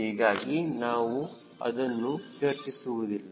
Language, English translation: Kannada, so we are talking about that